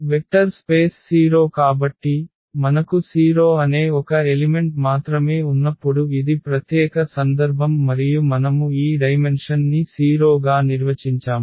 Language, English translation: Telugu, And the vector space 0 so, this is the special case when we have only one element that is 0 and we define this dimension as 0